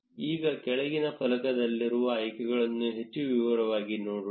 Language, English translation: Kannada, Now, let us look at the options in the bottom panel in more detail